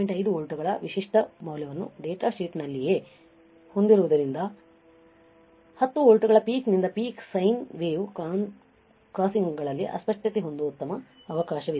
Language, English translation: Kannada, 5 volts specification right in the datasheet there is a good chance that 10 volts peak to peak sine wave will have a distortion at 0 crossings